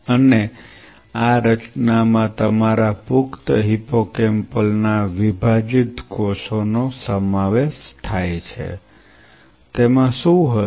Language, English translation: Gujarati, And this composition consists of your adult hippocampal dissociated cells, what all it consists of